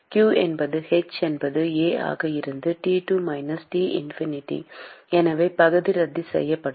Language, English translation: Tamil, q is h into A into T2 minus T infinity, so the area will cancel out